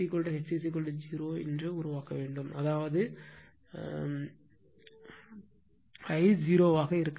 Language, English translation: Tamil, If H is equal to 0, I has to be I mean your 0 all right